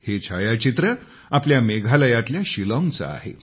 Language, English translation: Marathi, These are pictures of Shillong of our Meghalaya